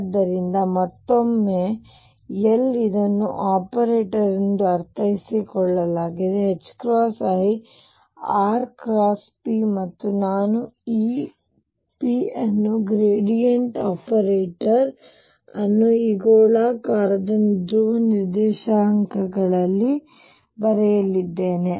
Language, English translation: Kannada, So, again L this is understood as an operator is h cross over i r cross p and I am going to write this p the gradient operator in terms of this spherical polar coordinates